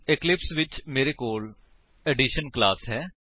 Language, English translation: Punjabi, In eclipse, I have a class Addition